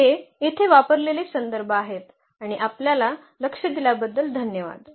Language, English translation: Marathi, So, these are the references used here and thank you for your attention